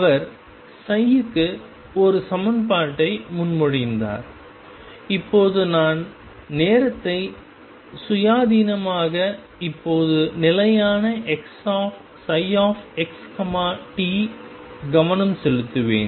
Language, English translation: Tamil, Who proposed an equation for psi and right now I will focus on time independent psi, now stationary psi